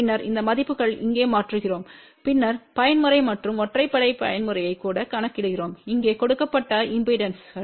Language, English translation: Tamil, Then we substitute these values over here and then calculate even mode and odd mode impedances which are given over here ok